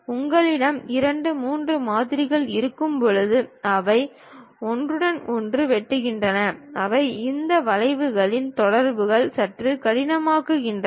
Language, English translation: Tamil, When you have two, three models which are intersecting with each other; they representing these curves contacts becomes slightly difficult